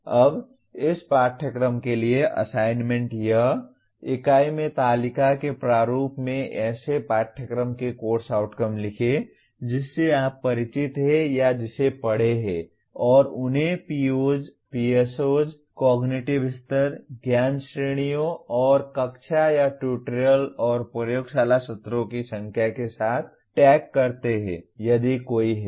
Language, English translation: Hindi, Now the assignment for this course, this unit is write course outcomes in the table format indicated of a course you are familiar with or taught and tag them with POs, PSOs, cognitive level, knowledge categories and the number of class or tutorial/laboratory sessions if there are any